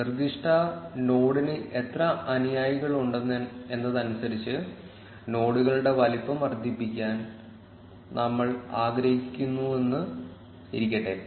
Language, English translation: Malayalam, Let us say we want to size the nodes according to how many followers that specific node has